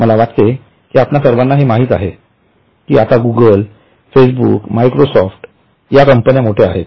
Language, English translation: Marathi, I think all of you know now it is Google, it is Facebook, it is Microsoft